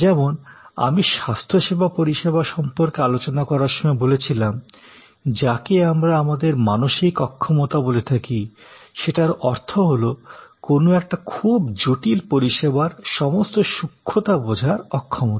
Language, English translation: Bengali, Like I were discussing about health care services and often what we call mental impalpability; that means, the inability to understand all the nuances of a very complex service